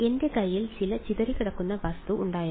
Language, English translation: Malayalam, I had some scattering object